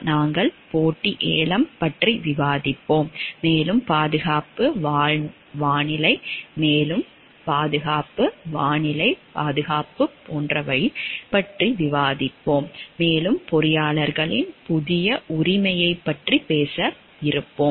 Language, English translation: Tamil, We will be discussing about competitive bidding and also as like about safety weather safety is an emerging and must talked about new right of engineers